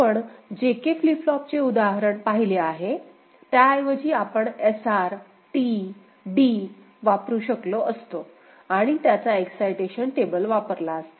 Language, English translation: Marathi, We have seen the example of JK flip flop, we could have used to SR, T, D ok, and corresponding excitation table would have been used ok